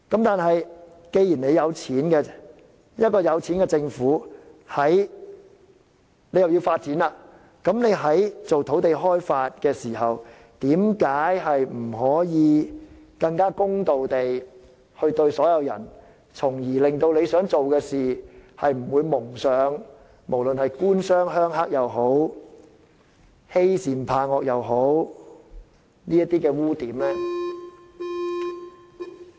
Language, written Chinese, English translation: Cantonese, 但是，既然財政有盈餘，一個富裕的政府要發展、開發土地，為何不能更公平地對待所有人，從而令其想達成的事，不致蒙上"官商鄉黑"勾結或是欺善怕惡的污點？, Nevertheless since we have a huge fiscal surplus an affluent Government should treat everyone fairly when developing certain sites so that it will not be criticized for government - business - rural - triad collusion or bullying the weak and fearing the strong